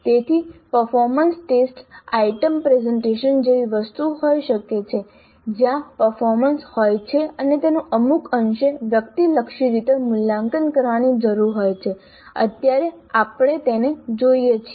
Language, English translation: Gujarati, So the performance test item can be something like a presentation where there is a performance and that needs to be evaluated to some extent in some subjective fashion